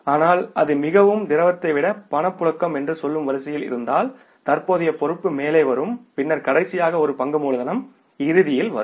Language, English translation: Tamil, But if But if it is in the order of, say, liquidity, then the most liquid, most current liability will come on the top and then the last one is the equity capital will come in the end